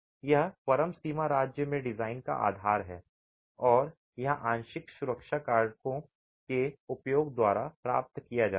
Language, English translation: Hindi, That's the basis of the design at the ultimate limit state and this is achieved by the use of partial safety factors